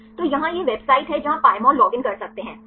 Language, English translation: Hindi, So, here this is the web website where you can get the Pymol login, fine